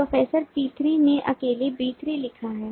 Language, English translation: Hindi, professor p3 has written b3 alone